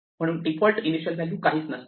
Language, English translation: Marathi, So, the default initial value is going to be none